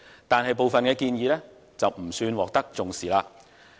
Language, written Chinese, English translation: Cantonese, 但是，部分建議卻不算獲得重視。, However some of the recommendations have not been treated with any importance